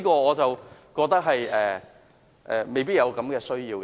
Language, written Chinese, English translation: Cantonese, 我覺得未必有此需要。, I do not consider the proposal to be necessary